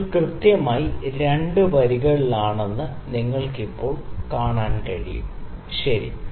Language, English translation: Malayalam, Now you can see the bubble is exactly in the 2 lines, ok